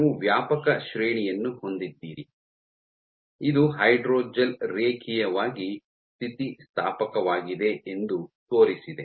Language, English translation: Kannada, So, you have a wide range, this preferred that the hydrogel is linearly elastic